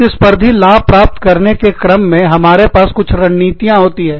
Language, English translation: Hindi, In order to attain, competitive advantage, we have some strategies